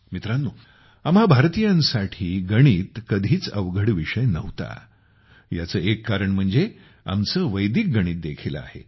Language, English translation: Marathi, Friends, Mathematics has never been a difficult subject for us Indians, a big reason for this is our Vedic Mathematics